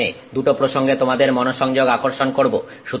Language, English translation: Bengali, I want to draw your attention to two references here